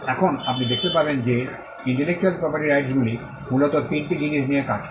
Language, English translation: Bengali, Now, you will find that intellectual property rights deals with largely 3 things